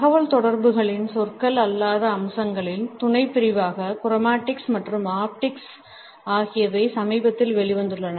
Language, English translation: Tamil, Chromatics as well as Ofactics have recently emerged as subcategory of non verbal aspects of communication